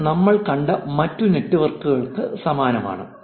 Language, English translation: Malayalam, This is similar to other networks also that we have seen